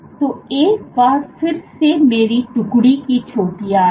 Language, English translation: Hindi, So, once again these are my detachment peaks